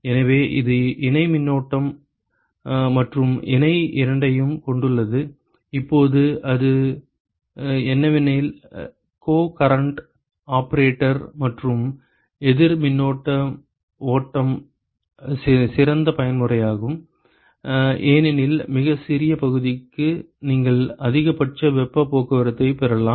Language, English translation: Tamil, So, it has both co current and parallel; now what it turns out is that the co current operator and the counter current flow is the best mode right because for as smallest area you can have maximum heat transport